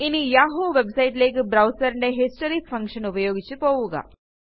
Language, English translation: Malayalam, Then go to the yahoo website by using the browsers History function